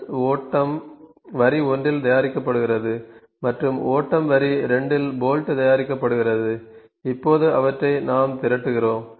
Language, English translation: Tamil, Nuts are manufactured in flow line 1 and bolts are manufactured in flow line 2 then we are assembling that